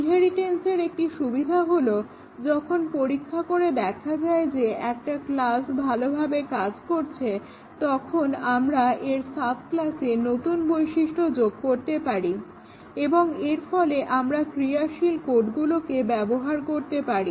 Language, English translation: Bengali, Inheritance, we know that one of the important benefit of inheritance is that once a class has been tested is working well we can add new features in its sub class and therefore, we reuse working code do not have to write all that code it has been tested and written